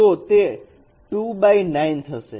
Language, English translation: Gujarati, So it should be 2 cross 9